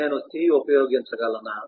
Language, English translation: Telugu, can I use c and do that